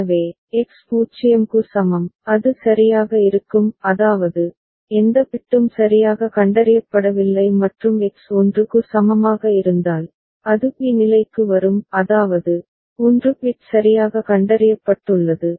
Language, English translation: Tamil, So, X is equal to 0 it will stay in a ok; that means, no bit is has been detected properly and if X is equal to 1, it will come to state b; that means, 1 bit has been detected properly right